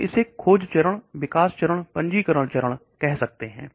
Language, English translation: Hindi, we can call it the discovery stage, the development stage, the registration stage